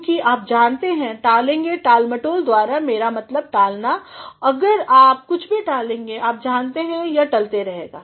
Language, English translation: Hindi, Because, you know if you simply delay by procrastination I mean delay if you delay something you know this delay keeps on getting delayed